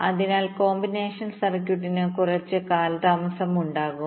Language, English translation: Malayalam, so combination circuit will be having some delay